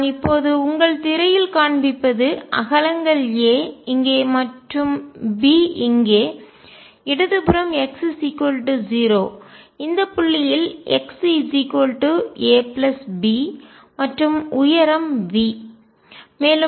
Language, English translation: Tamil, What I am showing now on your screen with widths being a here and b here on the left is x equals 0, this point is x equals a plus b the height is V